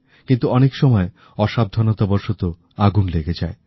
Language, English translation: Bengali, But, sometimes fire is caused due to carelessness